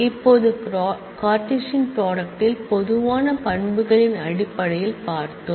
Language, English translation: Tamil, Now, we saw earlier that in Cartesian product, in terms of common attributes